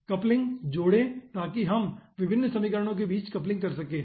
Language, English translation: Hindi, addcouplings, so here we can add coupling between different equations